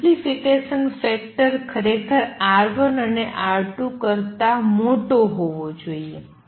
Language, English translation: Gujarati, Amplification factor actually should be larger than R 1 and R 2